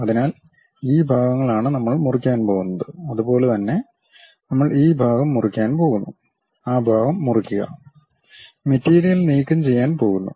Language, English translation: Malayalam, So, these are the portions what we are going to cut and similarly we are going to cut this part, cut that part, material is going to get removed